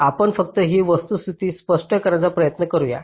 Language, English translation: Marathi, ok, lets try to just explain this fact